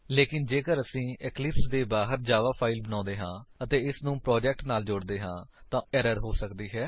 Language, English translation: Punjabi, But, if we create a Java file outside of Eclipse and add it to a project, there is a chance of the error